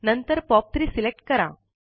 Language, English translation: Marathi, Next, select POP3